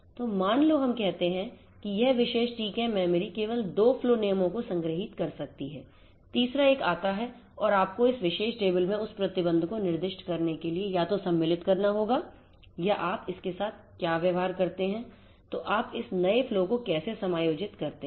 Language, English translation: Hindi, So, let us say that this particular TCAM memory can store only 2 flow rules, the third one comes and you will have to be either inserted to give the constraint to specify that constraint in this particular table or how do you deal with it; how do you deal with it